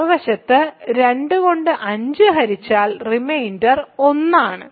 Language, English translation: Malayalam, On the other hand divide 5 by 2 the reminder is 1